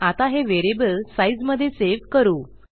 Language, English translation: Marathi, So lets save that in a variable called size